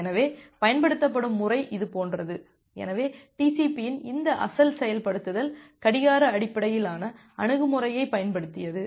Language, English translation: Tamil, So, the methodology was something like this, so this original implementation of TCP it used a clock based approach